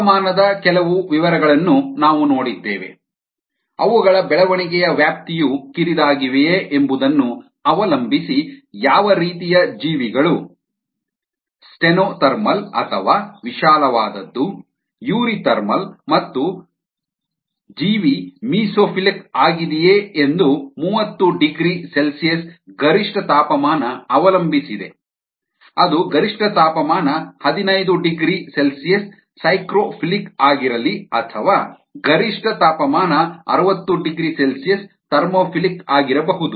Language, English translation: Kannada, we had seen some details of temperature, the kind of organisms, depending on whether their temperature range of growth is narrow in a thermal or rod you re thermal and whether ah the organism is mesophile, depending on it's optimum temperature around thirty degree c, whether it's psychrophile ah optimum temperature fifteen degree c or ah thermophile optimum temperature sixty degree c